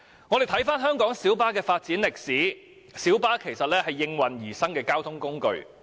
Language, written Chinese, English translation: Cantonese, 我們看回香港小巴的發展歷史，其實小巴是應運而生的交通工具。, Let us review the history of development of light buses in Hong Kong . Light buses became a mode of public transport owing to the circumstances of the time